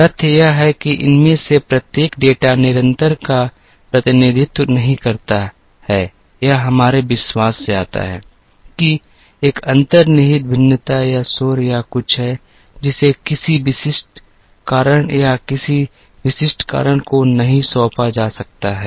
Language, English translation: Hindi, The fact that each of these data does not represent the constant comes from our belief that there is an inherent variation or noise or something, which cannot be assigned to a specific cause or a specific reason